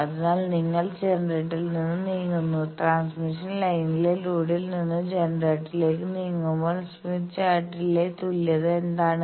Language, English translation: Malayalam, So, you move from generator, you move from load to generator in the transmission line what is the equivalence in Smith Chart